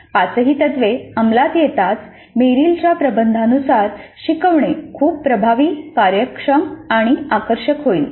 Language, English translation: Marathi, As all the five principles get implemented, Meryl's thesis is that the instruction is likely to be very highly effective, efficient and engaging